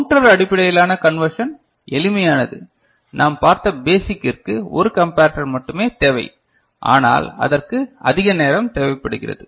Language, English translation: Tamil, Counter based conversion is simple the basic one that we have seen, that only one comparator is required, but it requires more time